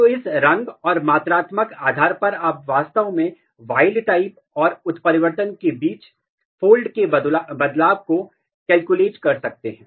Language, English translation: Hindi, So, based on this color and then the quantification you can actually calculate the fold change between wild type and mutant for all these gene